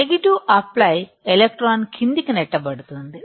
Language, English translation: Telugu, Negative apply, electron will be pushed down